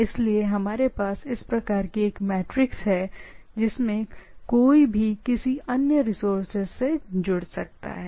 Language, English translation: Hindi, So we have this sort of a matrix type of things so anybody can connect to the any other resources